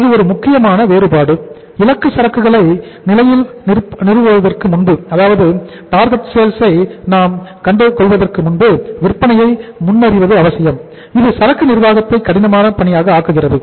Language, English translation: Tamil, This is a critical difference and the necessity of forecasting sales before establishing target inventory levels which makes inventory management a difficult task